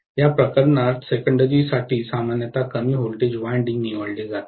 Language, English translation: Marathi, The secondary normally is chosen to be the low voltage winding in this case